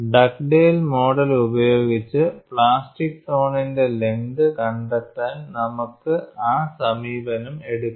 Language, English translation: Malayalam, We will use that approach for us to find out the plastic zone length in Dugdale model, you need that expression